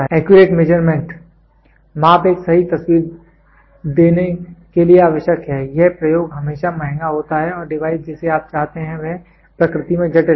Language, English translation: Hindi, The accurate measurement; measurements necessary to give a true picture it the experiments are always expensive and the device what you what it is complicated in nature